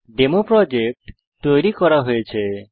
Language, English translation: Bengali, DemoProject has been created